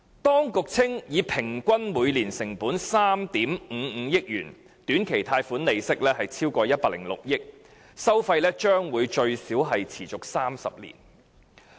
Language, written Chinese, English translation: Cantonese, 當局稱短期貸款利息超過106億元，平均每年成本3億 5,500 萬元，收費將會最少持續30年。, The authority concerned says that short - term loan interests amount to RMB10.6 billion giving a yearly average of RMB0.355 billion for a period of at least 30 years